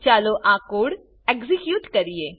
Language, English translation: Gujarati, Lets execute this code